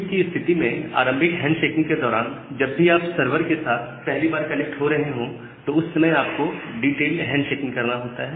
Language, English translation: Hindi, So, in case of QUIC, during the initial handshaking, whenever you are connecting to the server for the first time during that time you have to do a detailed handshaking